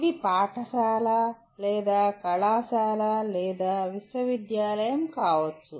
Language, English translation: Telugu, It could be a school or a college or a university